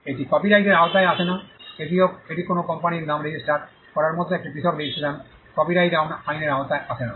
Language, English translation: Bengali, That does not come under copyright it is a separate registration like registering a company’s name, does not come under the copyright law